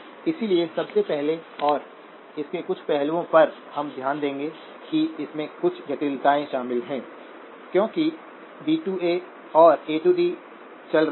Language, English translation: Hindi, So first and foremost some of the aspects that we would note about this is that there is some complexity involved because D/A and A/Ds are running